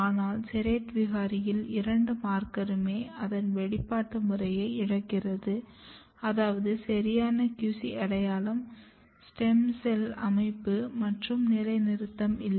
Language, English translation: Tamil, But what happens in the serrate mutant, both the markers lost their expression pattern, which means that there is no proper QC identity, there is no proper stem cell niche organization and positioning